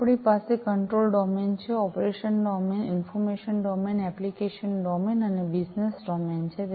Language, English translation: Gujarati, So, this is the functional viewpoint we have the control domain, operations domain, information domain, application domain, and the business domain